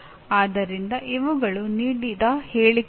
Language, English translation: Kannada, So these are the statements given